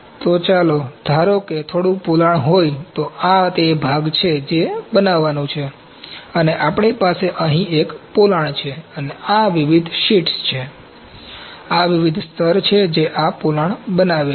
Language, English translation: Gujarati, So, what the point I am telling to make here is that, if there is some cavity suppose, this is the component that is to be made and we have a cavity here and these are different sheets, they are different sheets these are different layers which are making this cavity